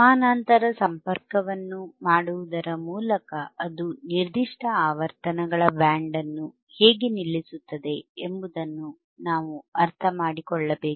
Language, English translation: Kannada, We will see how the parallel connection can be done right, the name itself that it will stop a particular band of frequencies